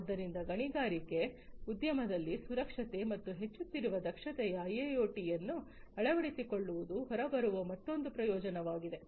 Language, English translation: Kannada, So, in an efficient manner safety and increasing efficiency in the mining industry is another benefit that will come out from the adoption of IIoT